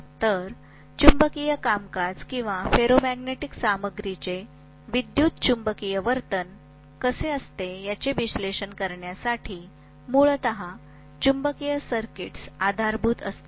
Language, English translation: Marathi, So magnetic circuits essentially lays the foundation for analyzing the magnetic functioning or how electromagnetic behavior of the ferromagnetic material is